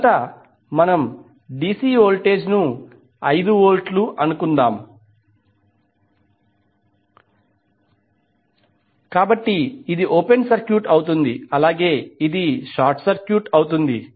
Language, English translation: Telugu, First, let us take the DC voltage 5 Volt so this will be open circuited, this will be short circuited